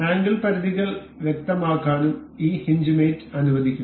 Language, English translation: Malayalam, This hinge mate also allows us to specify angle limits